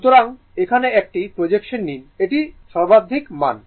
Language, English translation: Bengali, So, take a projection here this is the maximum value